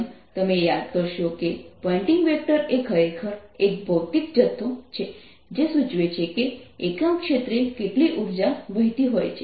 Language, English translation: Gujarati, as you recall, pointing vector actually is a physical quantity which indicates how much energy per unit area is flowing